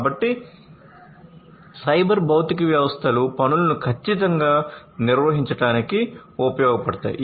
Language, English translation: Telugu, So, cyber physical systems can find use to perform the tasks accurately, you know